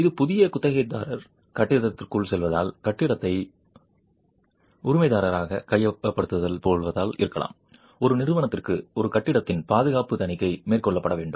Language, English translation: Tamil, It may be because of a new tenant moving into the building, going to take over the building as a licensee that a company requires that the safety audit of a building be carried out